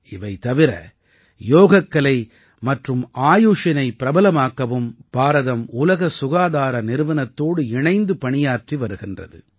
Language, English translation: Tamil, Apart from this, India is working closely with WHO or World Health Organization to popularize Yoga and AYUSH